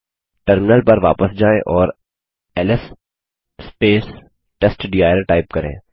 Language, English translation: Hindi, Go back to the terminal and type ls testdir